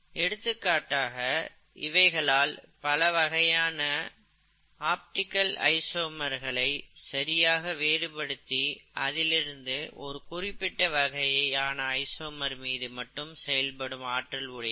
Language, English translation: Tamil, For example, they can differentiate between optical isomers and act on only one kind of optical isomer, okay